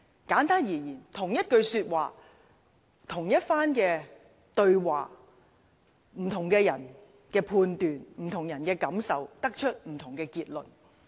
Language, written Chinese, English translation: Cantonese, 簡單而言，同一句說話，同一番對話，不同的人按其判斷和感受，可得出不同的結論。, To put it plainly different people may come to different conclusions about the same remark or conversation according to their respective judgment and feelings . Let me cite an example